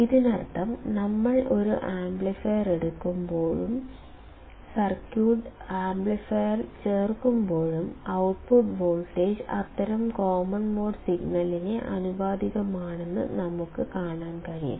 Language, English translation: Malayalam, It means that when we take an amplifier and when we insert the amplifier in the circuit; then we can see that the output voltage is proportional to such common mode signal